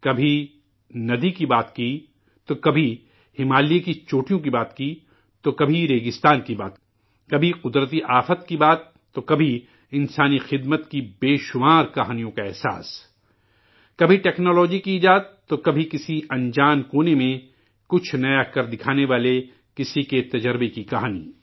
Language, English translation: Urdu, At times, there was reference to rivers; at other times the peaks of the Himalayas were touched upon…sometimes matters pertaining to deserts; at other times taking up natural disasters…sometimes soaking in innumerable stories on service to humanity…in some, inventions in technology; in others, the story of an experience of doing something novel in an unknown corner